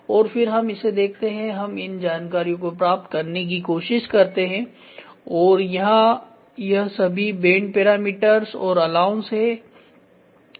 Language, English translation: Hindi, And then we look at this we try to get those details then here it is all bend parameters and allowance